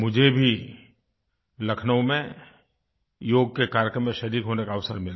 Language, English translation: Hindi, I too had the opportunity to participate in the Yoga event held in Lucknow